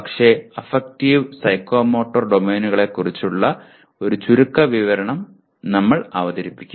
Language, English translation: Malayalam, But we will still present a brief overview of both affective and psychomotor domain